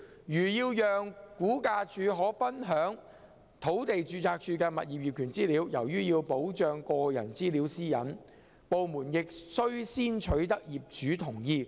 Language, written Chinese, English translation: Cantonese, 如要讓估價署可分享土地註冊處的物業業權資料，由於要保障個人資料私隱，部門亦須先取得業主同意。, If RVD is to share the information of the Land Registry on property ownership property owners consent must first be secured due to the concern about the protection of privacy of personal data